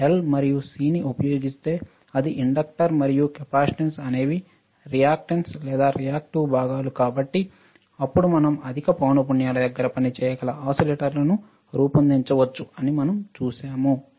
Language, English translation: Telugu, While if I use L and C that is inductor and capacitance as reactance is or reactive components, then we can design oscillators which can work at higher frequencies right